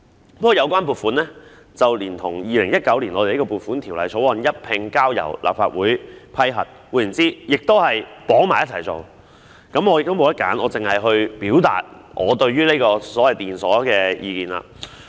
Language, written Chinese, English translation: Cantonese, 不過，有關撥款連同《2019年撥款條例草案》一併交由立法會批核，換言之，也是捆綁式處理，我沒有選擇，只能表達我對電鎖系統的意見。, However the relevant provision was included in the Appropriation Bill 2019 submitted to the Legislative Council for approval . In other words it is handled in a bundle . I do not have any other choice